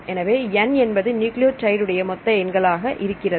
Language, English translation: Tamil, So, n is the total number of nucleotides